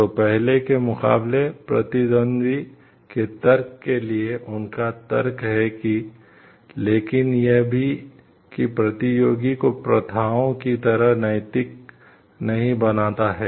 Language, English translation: Hindi, So, that is their argument for the competitors argument for the against the first, but also that does not make the competitors like practices ethical